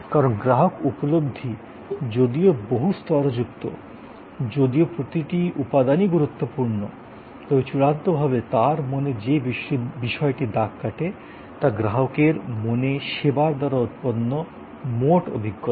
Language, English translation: Bengali, Because, the customer perception though multi layered, though each element is important, but what ultimately matters in his or her mind, in the mind of the customer is the total experience that is generated by service